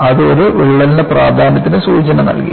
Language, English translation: Malayalam, And, that alerted the importance of a crack